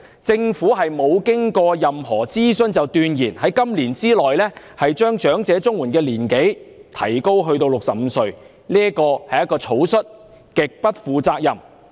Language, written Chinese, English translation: Cantonese, 政府未經任何諮詢，便斷言會在今年內將領取長者綜援的合資格年齡提高至65歲，這是草率和極不負責任的決定。, The Government has arbitrarily announced to raise the age eligibility for elderly CSSA to 65 this year without conducting any consultation . This is a hasty and extremely irresponsible decision . Tyranny is fiercer than a tiger